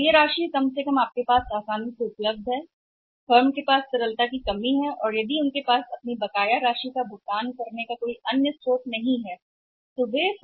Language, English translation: Hindi, So, that amount is at least available means some time with easily could you have liquidity crunch with the firm and if they are not having any other source to make the payment to their dues